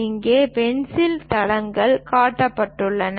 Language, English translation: Tamil, And here the pencil leads are shown